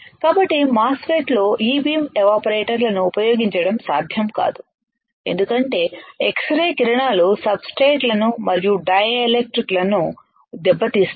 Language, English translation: Telugu, So, what is that E beam evaporators cannot be used in MOSFET because x rays will damage the substrates and dielectric